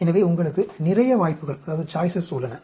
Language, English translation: Tamil, So, you have a lot of choices